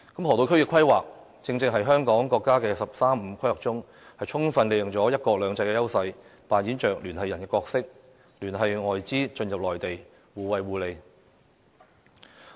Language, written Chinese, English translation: Cantonese, 河套區的規劃，正正是香港在國家"十三五"規劃中，充分利用了"一國兩制"的優勢，擔當聯繫人的角色，聯繫外資進入內地，互惠互利。, The planning for the Lok Ma Chau Loop is a good example of our leveraging on the National 13 Five - Year Plan and fully capitalizing on the advantage of one country two systems to fulfil the role as a super connector and channel foreign capital into the Mainland